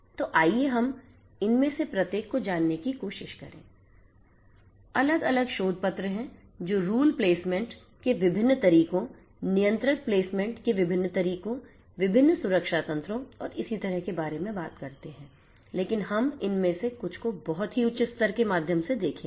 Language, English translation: Hindi, So, let us try to go through each of these there are different different research papers that talk about different ways of rule placement, different ways of controller placement, different security mechanisms and so on, but we will go through some of these very naive high level views of each of these different concepts to make us understand what these are